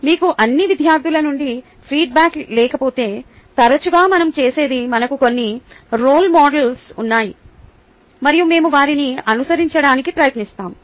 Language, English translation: Telugu, if you do not have a feedback from ah all the students then often what we do is we have some role models and we try to follow them